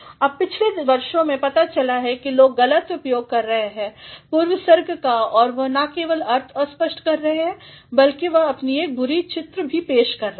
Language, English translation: Hindi, Now, over the years it has been found that people are making bad uses of prepositions and they are not only obscuring the sense, but they are also projecting their bad image